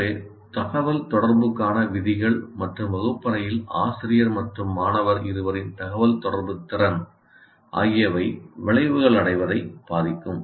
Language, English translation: Tamil, Therefore, rules for communication, whatever rules that you have, and the communicative competence of both the teacher and student in the classroom will influence the attainment of outcomes